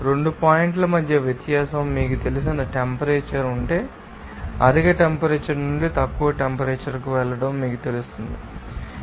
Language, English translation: Telugu, If there is a temperature you know difference between 2 points you will see that the temperature will be you know moving from higher temperature to the lower temperatures